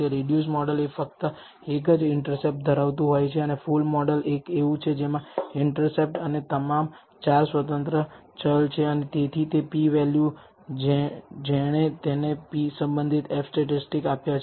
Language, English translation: Gujarati, The reduced model is one containing only the interceptor and the full model is one which contains intercept and all four independent variables and thus the p value it has given the corresponding F statistic